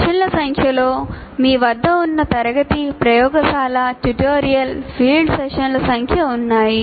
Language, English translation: Telugu, And the number of sessions that you have for the number of class, laboratory, tutorial, field sessions, whatever you have